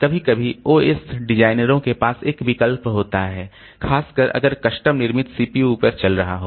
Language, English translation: Hindi, Sometimes the OS designers have a choice, especially if running on custom built CPU